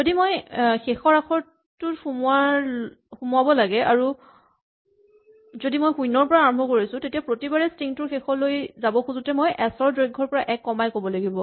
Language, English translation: Assamese, If I had to include the last character and if I start numbering at 0, then every time I wanted to go to the end of the string I would have to say length of s minus 1